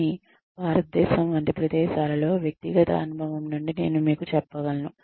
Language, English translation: Telugu, But, in places like India, I can tell you from personal experience